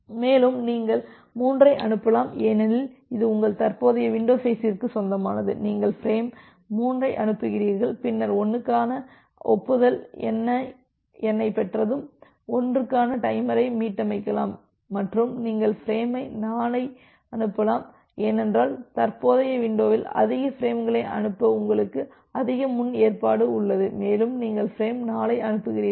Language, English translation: Tamil, And you can send 3 because, it belongs to your current window size you transmit the frame 3 and then you received the acknowledgement number for 1 once you are receiving the acknowledgement for 1 you can reset the timer for 1 and you can send frame 4 because you have you have more provision to send more frames in the current window and you transmit frame 4